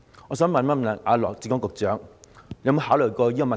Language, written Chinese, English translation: Cantonese, 我想請問羅致光局長，他有否考慮過這個問題？, May I ask Secretary Dr LAW Chi - kwong whether he had thought about this problem?